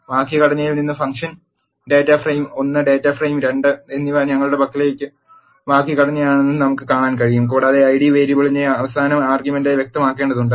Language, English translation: Malayalam, From the syntax we can see that function data frame 1 and data frame 2 is the syntax we have and you have to specify the Id variable as the last argument